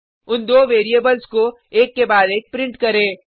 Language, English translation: Hindi, Print those 2 variables one after the other